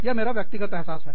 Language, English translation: Hindi, That is my personal feeling